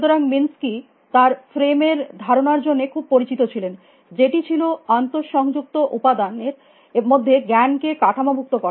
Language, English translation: Bengali, So, Minskye is very well known for his idea on frames, which is a way of structuring knowledge into interconnected components